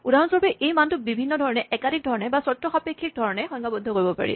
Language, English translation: Assamese, For instance, this value could be defined in different ways, multiple ways, in conditional ways